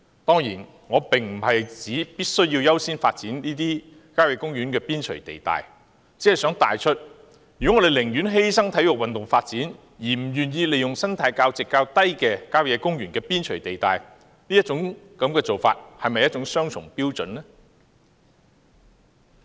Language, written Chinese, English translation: Cantonese, 當然，我並不是指必須優先發展這些郊野公園的邊陲地帶，只是想帶出，如果我們寧願犧牲體育運動發展，而不願意利用生態價值較低的郊野公園邊陲地帶建屋，是否雙重標準呢？, Of course I do not mean to suggest that priority must be given to the development of the periphery of country parks . I just want to point out Is it not a double standard when we would rather sacrifice sports development but are unwilling to make use of the periphery of country parks with lower ecological values for housing production?